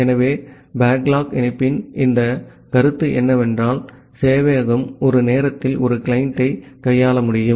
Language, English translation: Tamil, So this concept of backlog connection is that, the server can handle one client at a time